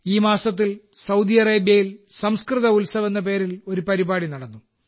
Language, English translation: Malayalam, This month, an event named 'Sanskrit Utsav' was held in Saudi Arabia